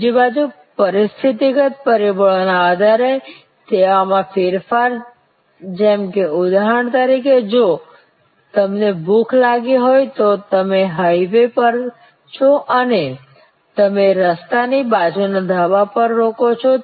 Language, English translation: Gujarati, On the other hand, based on service alterations and situational factors like for example, if you are hungry, you are of the highway and you stop at a Dhaba, road side Dhaba